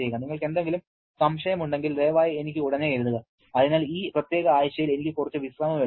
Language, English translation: Malayalam, If you have any doubt, please write to me immediately and so I can take some rest for this particular week